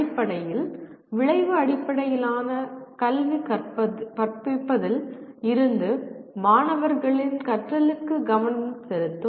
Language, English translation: Tamil, Fundamentally, Outcome Based Education shifts the focus from teaching to student learning